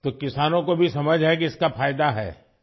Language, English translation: Urdu, So do farmers also understand that it has benefits